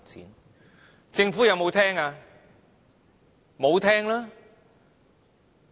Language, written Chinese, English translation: Cantonese, 然而，政府有否聆聽？, However has the Government listened?